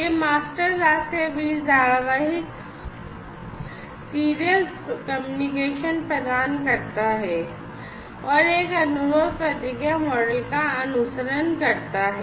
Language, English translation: Hindi, So, it provides the serial communication between the master/slave and follows a request/response model